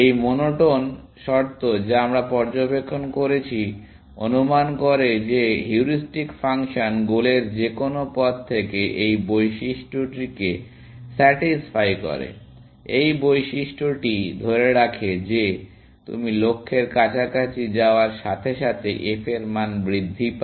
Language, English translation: Bengali, This monotone criteria that we observed, assuming that heuristic function satisfies this property from any path to the goal, this property holds that, as you go closer towards the goal, the f value increases